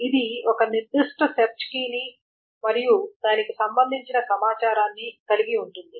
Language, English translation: Telugu, It contains a particular search key and the corresponding object to it